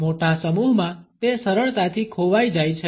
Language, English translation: Gujarati, In a large group it is easily lost